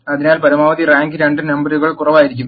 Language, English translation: Malayalam, So, the maximum rank can be the less of the two numbers